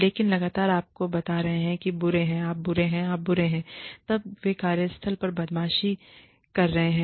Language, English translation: Hindi, But, constantly telling you that, you are bad, you are bad, you are bad, you are bad, is workplace bullying